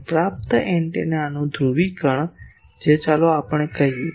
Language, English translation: Gujarati, And the polarisation of the receiving antenna that is let us say E a